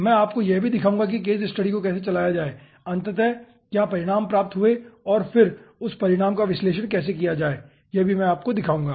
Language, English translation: Hindi, i will be showing you also how to run the case study and finally what results have been obtained and then how to analyze that result